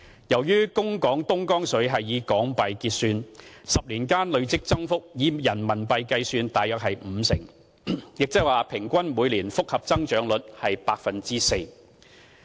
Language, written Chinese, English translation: Cantonese, 由於供港東江水是以港元結算 ，10 年間累積增幅以人民幣計算約為五成，亦即是說平均每年複合增長率是 4%。, Because the Dongjiang water supplied to Hong Kong was settled in Hong Kong dollars the cumulative increase during a period of 10 years was about 50 % based on a calculation using renminbi and that is to say the average annual compound growth rate was 4 %